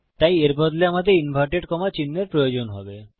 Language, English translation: Bengali, So instead of these, well need inverted commas